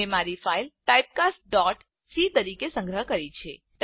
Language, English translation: Gujarati, I have saved my file as typecast.c